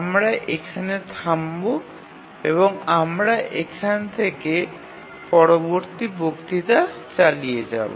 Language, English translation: Bengali, We will stop here and we will continue the next lecture at from this point